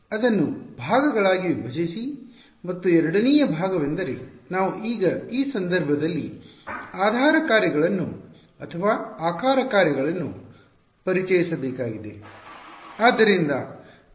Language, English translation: Kannada, Break it up into segments and the second part is we have to now introduce the basis functions or the shape functions in this case ok